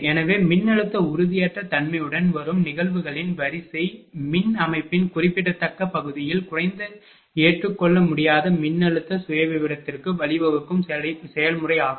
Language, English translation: Tamil, So, it is the process by which the sequence of events accompanying voltage instability leads to a low unacceptable voltage profile in a significant part of the power system